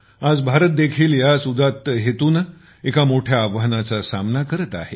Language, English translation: Marathi, Today, India too, with a noble intention, is facing a huge challenge